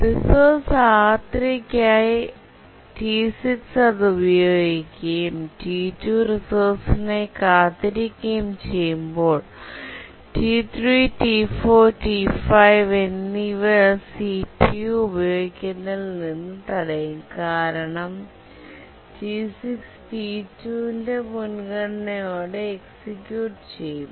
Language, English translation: Malayalam, When T6 is using the resource R3 and T2 is waiting for the resource, T3, T3, T4, T5 will be prevented from using the CPU because T6 is executing with a high priority, that is the priority of T2